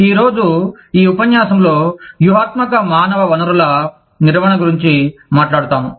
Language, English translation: Telugu, Today, we will talk about, in this lecture, we will talk about, Strategic Human Resource Management